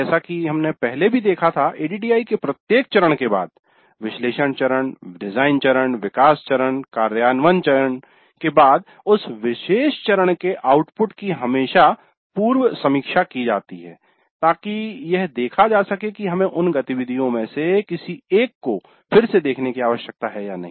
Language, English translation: Hindi, As we saw earlier also, after every phase of the ADD, after analysis phase, design phase, develop phase, implement phase, the outputs of that particular phase are always pre reviewed to see if we need to revisit any of those activities